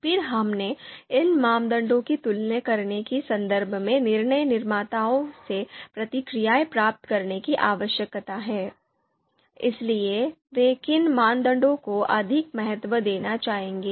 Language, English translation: Hindi, Then we need to you know we need to get responses from decision makers in terms of comparing these criteria, so which criteria they would like to you know you know you know you know give more importance